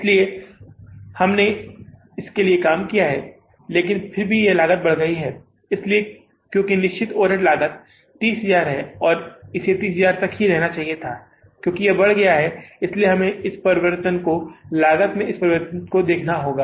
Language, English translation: Hindi, So we have worked for that, but still this cost is increased So, because fixed overhead cost is 30,000, it should have remained as 30,000, it has increased, so we have to look for this change, this increase in the cost